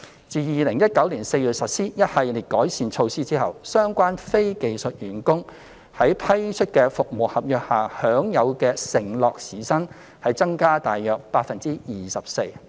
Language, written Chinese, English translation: Cantonese, 自2019年4月實施一系列改善措施後，相關非技術員工在批出的服務合約下享有的承諾時薪已增加約 24%。, The committed hourly wage of these non - skilled employees engaged under government outsourced service contracts has increased about 24 % after the implementation of a package of improvement measures since April 2019